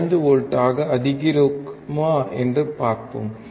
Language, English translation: Tamil, Now, let us increase to 1 volts